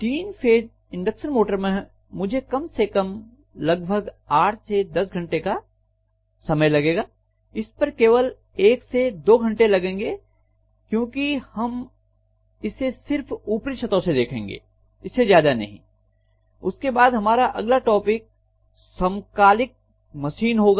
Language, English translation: Hindi, So for three phase induction motor I might take anywhere between again in 8 to 10 hours minimum, this might take about 1 to 2 hours, because we are just going to touch upon this, nothing more than that, then the next topic that we would be looking at will be synchronous machines